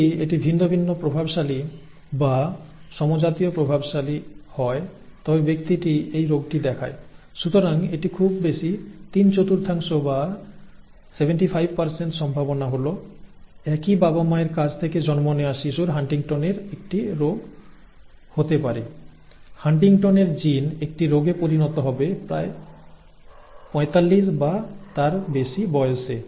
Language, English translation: Bengali, Either if one of either if it is heterozygous dominant or homozygous dominant the person will show the disease, so it is a very high three fourth or a 75% probability that the that the child, born to the same parents will have HuntingtonÕs disease, HuntingtonÕs gene which will develop into a disease at around 45 or so